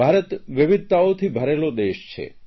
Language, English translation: Gujarati, India is land of diversities